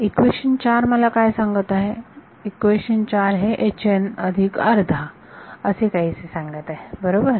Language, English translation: Marathi, Equation 4 is telling me what; equation 4 is talking about H n plus half right